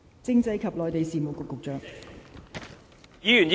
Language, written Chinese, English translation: Cantonese, 政制及內地事務局局長。, Secretary for Constitutional and Mainland Affairs